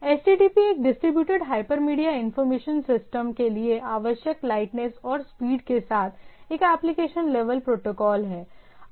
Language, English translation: Hindi, So, HTTP is a application level protocol with the lightness and speed necessary for distributed hyper media information system